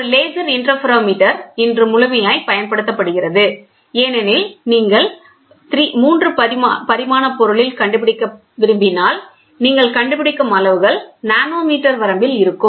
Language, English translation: Tamil, Laser interferometer is exhaustively used today because if you wanted to find out in a 3 dimensional object; where the features whatever you do are of nanometer range